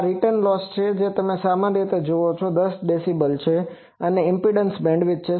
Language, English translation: Gujarati, This is a return loss you see typically 10 dB is the impedance bandwidth